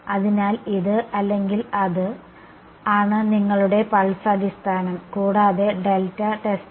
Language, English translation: Malayalam, So, that is or that is your pulse basis and delta testing ok